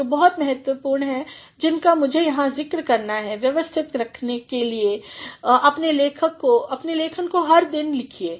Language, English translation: Hindi, There are certain things which are very important and which I need to mention here, keep structuring your writing every day write